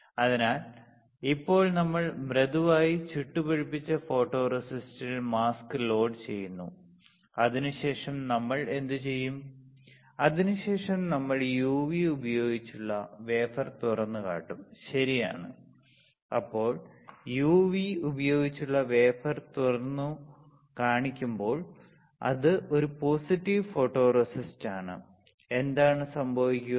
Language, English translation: Malayalam, So, now we are loading the mask on the photoresist that is soft baked after that what we will do after that you will expose the wafer with UV, correct, then when you expose the wafer with UV because it is a positive photoresist, what would happen